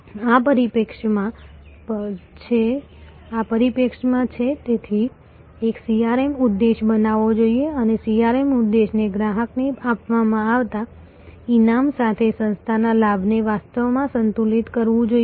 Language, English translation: Gujarati, It is from this perspective therefore, a CRM objective should be created and CRM objective must actually balance the gain for the organization with the reward given to the customer